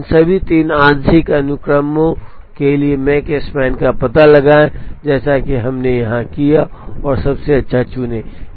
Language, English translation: Hindi, Now, find out the make span for all these 3 partial sequences like we did here, and choose the best